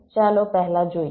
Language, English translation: Gujarati, lets first see